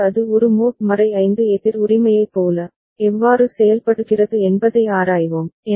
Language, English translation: Tamil, And then we shall examine, how it behaves like a mod 5 counter right